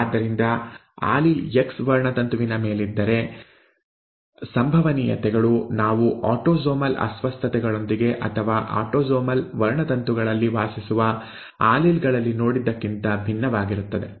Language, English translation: Kannada, So if the allele lies on the X chromosome, then the probabilities are going to be different from that we found with autosomal disorders, or the alleles that reside on autosomal chromosomes